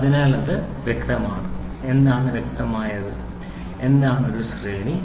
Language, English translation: Malayalam, So, it is clear; what is clear, so, what is a range